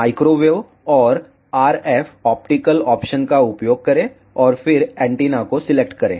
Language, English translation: Hindi, Use microwave and RF optical option and then select antenna